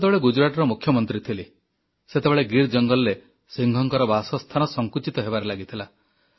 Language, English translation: Odia, I had the charge of the Chief Minister of Gujrat at a period of time when the habitat of lions in the forests of Gir was shrinking